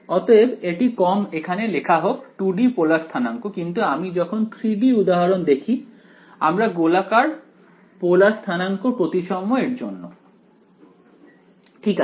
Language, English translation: Bengali, So, this is less write it over here 2 D polar coordinates, but when we move to the 3D example we will take spherical polar coordinates for using the symmetry; just fine right